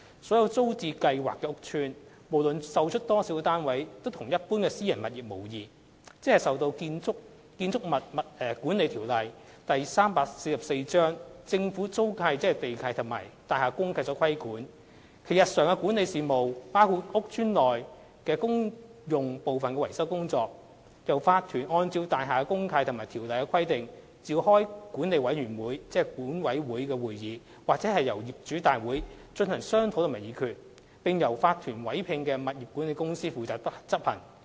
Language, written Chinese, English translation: Cantonese, 所有租置屋邨，無論售出多少單位，均與一般私人物業無異，即受《建築物管理條例》、政府租契及大廈公契所規管，其日常的管理事務，包括屋邨內公用部分的維修工作，由業主立案法團按照大廈公契及《條例》的規定，召開管理委員會會議或業主大會進行商討及議決，並由法團委聘的物業管理公司負責執行。, 344 the Government leases and the Deeds of Mutual Covenant DMCs . Daily management issues of the TPS estates including maintenance work in estate common areas are discussed and resolved at meetings of management committees or owners general meetings convened by the Owners Corporations OCs pursuant to the provisions of DMCs and BMO . The property management companies appointed by OCs undertake the estate management work